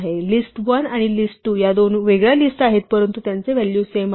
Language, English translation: Marathi, So, list1 and list2 are two different lists, but they have the same value right